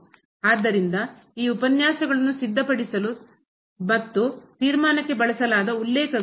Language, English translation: Kannada, So, these are the references which were used for preparing these lectures and the conclusion